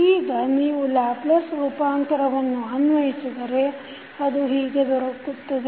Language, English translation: Kannada, So, if you take the Laplace transform of this, what you can write